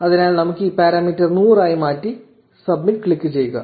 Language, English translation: Malayalam, So, let us change this parameter to 100 and click submit